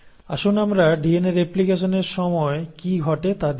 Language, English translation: Bengali, So let us look at what happens during DNA replication